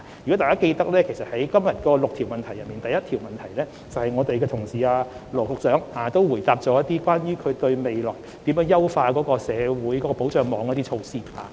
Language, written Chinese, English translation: Cantonese, 如果大家記得，在今天的6項口頭質詢中，羅局長在第一項質詢時，便列舉未來如何優化社會保障網的一系列措施。, As Members may recall among the six oral questions today Secretary Dr LAW has in reply to Question 1 cited a series of measures for enhancing the social welfare safety net in the future